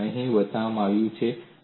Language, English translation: Gujarati, These are shown here